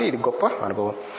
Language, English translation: Telugu, So, it was a great experience